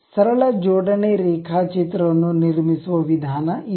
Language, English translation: Kannada, This is the way we construct a simple assembly drawing